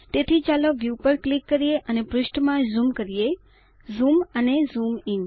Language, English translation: Gujarati, So lets zoom into the page by clicking on View Zoom and Zoom in